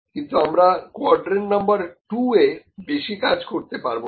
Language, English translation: Bengali, But here we cannot work much in quadrant number 2, ok